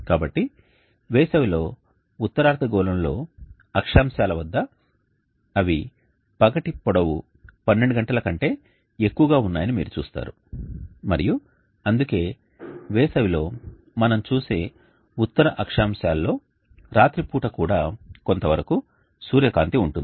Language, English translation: Telugu, So for latitudes in the northern hemisphere in summer you will see that they have the length of the day greater than to 12 hours and that is why in summer the northern latitudes we will see will have sunlight even late into the night